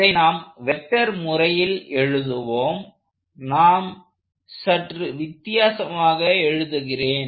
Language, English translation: Tamil, So, let us start by writing that in a vector form, except I will write it slightly differently